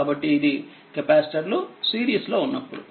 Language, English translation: Telugu, So, all of these capacitors are in series